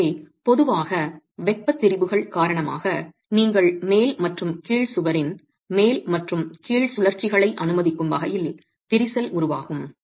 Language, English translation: Tamil, So, typically due to thermal strains you will have crack formed at the top and the bottom allowing rotations at the top and the bottom of the wall